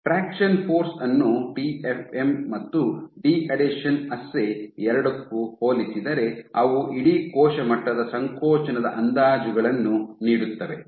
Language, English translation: Kannada, So, compared to traction force to both TFM and these deadhesion assay, they kind of estimate the whole cell level contractility